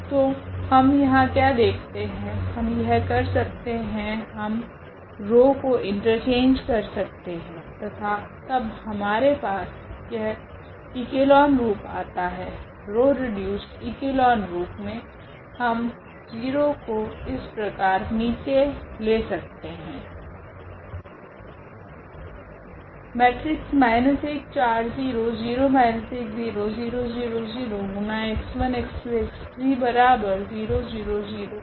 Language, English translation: Hindi, So, what do we see here, we can actually just take this we can interchange the row and then we have this echelon form; row reduced echelon form the 0 we can bring to the bottom if we like